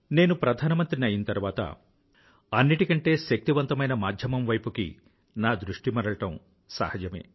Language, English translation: Telugu, Hence when I became the Prime Minister, it was natural for me to turn towards a strong, effective medium